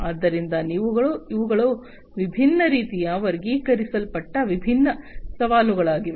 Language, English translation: Kannada, So, these are some of these different challenges categorized in different ways